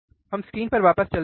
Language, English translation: Hindi, So, let us see the screen